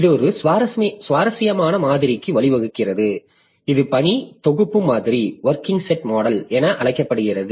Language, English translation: Tamil, So, this has led to one interesting model which is known as working set model